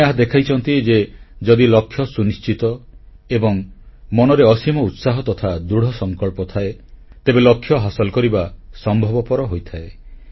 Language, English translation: Odia, They have showed that if once the targets are set, spirits are high and with a strong resolve, the set targets can most certainly be attained